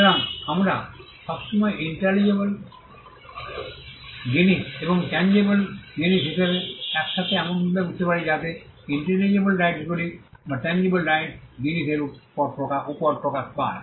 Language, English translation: Bengali, So, we always understand as intangible things and the tangible things together in such a way that the intangible rights manifest over tangible things